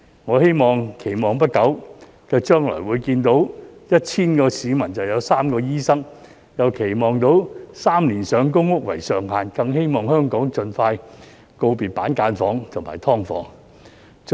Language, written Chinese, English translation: Cantonese, 我期望在不久的將來，會看到每 1,000 個市民就有3個醫生，又期望看到3年上公屋為上限，更期望香港盡快告別板間房和"劏房"。, I hope to see that in the near future there can be 3 doctors for every 1 000 people the waiting time for public housing allocation can be capped at three years and Hong Kong can bid farewell to cubicle units and subdivided units as soon as possible . I have honestly spent too much time Deputy President